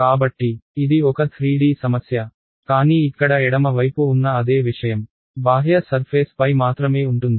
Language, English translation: Telugu, So this is a 3D problem, but the same thing on the left hand side over here is only over the outer surface